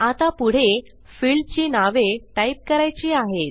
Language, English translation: Marathi, Now we proceed with typing in the the field names